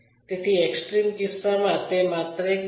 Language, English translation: Gujarati, In the extreme case it is a point